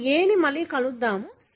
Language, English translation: Telugu, Now, let us look into A again